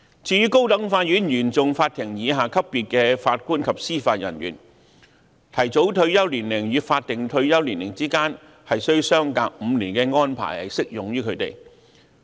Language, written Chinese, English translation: Cantonese, 至於高等法院原訟法庭以下級別的法官及司法人員，提早退休年齡與法定退休年齡之間須相隔5年的安排亦適用於他們。, As for JJOs below the CFI level the five - year interval between the early retirement age and the statutory retirement age also applies